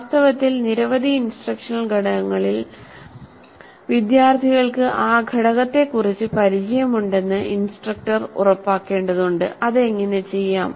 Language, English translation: Malayalam, In fact with many of the instructional components the instructor may have to ensure that the students are familiar with that component